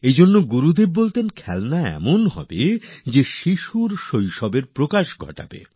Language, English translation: Bengali, Therefore, Gurudev used to say that, toys should be such that they bring out the childhood of a child and also his or her creativity